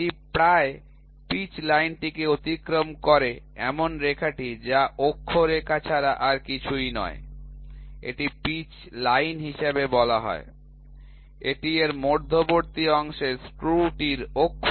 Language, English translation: Bengali, The line passing it almost pitch line is nothing, but the axis line is called as the pitch line, the axis of the screw the centre portion of it